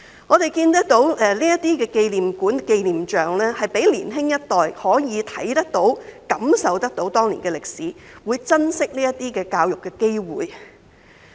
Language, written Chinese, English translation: Cantonese, 我們看到這些紀念館和紀念像，可以讓年輕一代看得到、感受到當年的歷史，會珍惜這些教育的機會。, We can see that these memorial halls and memorial statues will allow the younger generation to see and feel the history of those years and they will cherish these educational opportunities